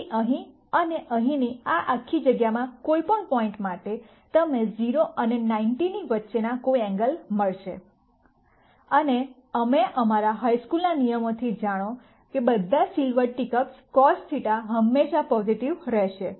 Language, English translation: Gujarati, So, for any point between here and here in this whole space you are going to get a b, some angle between 0 and 90, and we know from our high school rule, all silver teacups cos theta will always be positive